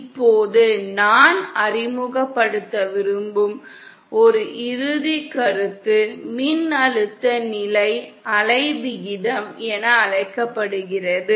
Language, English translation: Tamil, Now one final concept that I want to introduce is what is called as the voltage standing wave ratio